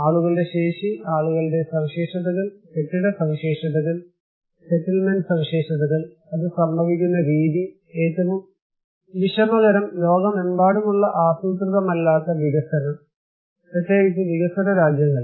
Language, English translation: Malayalam, People's capacity, their characteristics, their features, the building characteristics, settlement characteristics, the way it is happening, the unhappiness that unplanned development across the globe particularly in developing countries